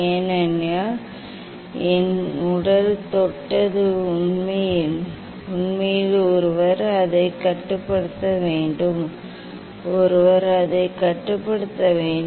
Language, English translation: Tamil, because my body touched the actually one should clamp it; one should clamp it